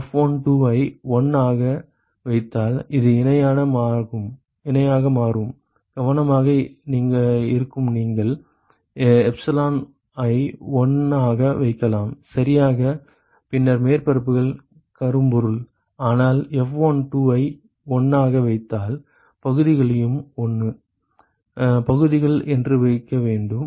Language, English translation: Tamil, If you put F12 as 1 it becomes parallel, it will be careful you can put epsilon as 1 that is correct, then the surfaces are blackbody, but then if you put F12 as 1 you also have to put the areas to be 1, areas to be equal not 1 right you understand